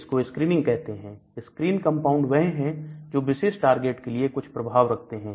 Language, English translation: Hindi, These are called screening, screen compounds that have activity against this particular target